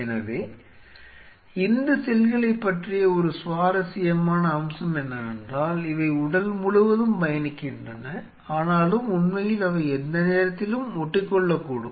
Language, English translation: Tamil, So, one interesting feature about these cells are that, they travel all over the body yet really, they anchor at any point